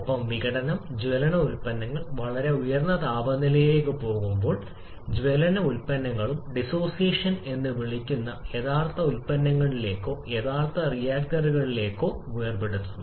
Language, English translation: Malayalam, And the dissociation of combustion products when it goes to very high temperature the products of combustion and disassociate back to the original products or original reactants that is called disassociation